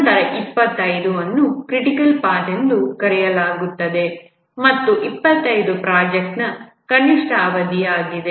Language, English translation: Kannada, Then 25 is called as a critical path and 25 is the minimum duration for the project